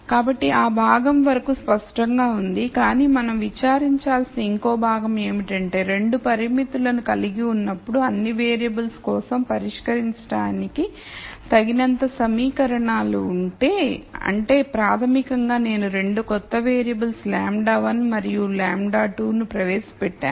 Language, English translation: Telugu, So, that part is clear the other part that we need to worry about is if I have enough equations to solve for all the variables when I have 2 constraints, that basically means I have introduced 2 new variables lambda 1 and lambda 2